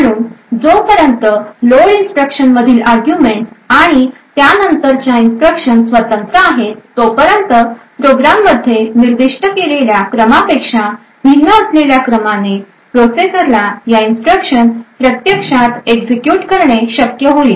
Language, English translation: Marathi, So as long as the arguments in the load instructions and those of these subsequent instructions are independent it would be possible for the processor to actually execute these instructions in an order which is quite different from what is specified in the program